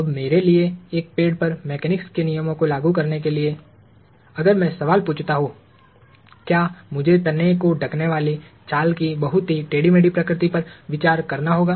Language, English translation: Hindi, Now, in order for me to apply the laws of mechanics to a tree, if I ask the question – do I have to consider the very scaly nature of the bark covering the trunk